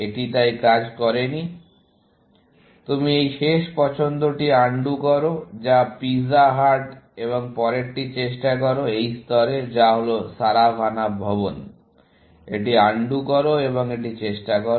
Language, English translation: Bengali, It did not work so, you undo this last choice, which is pizza hut and try the next one, at this level, which is Saravanaa Bhavan; undo this and try this